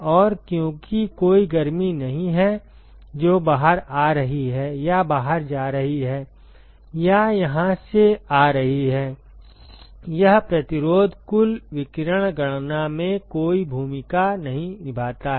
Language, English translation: Hindi, And, because there is no heat that is coming out or going out or coming in from here this resistance does not play any role in the total radiation calculation